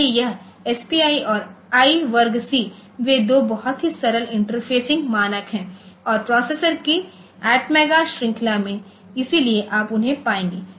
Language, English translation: Hindi, So, this SPI and I square C they are two very simple interfacing standards and in atmega series of processor so you will find them ok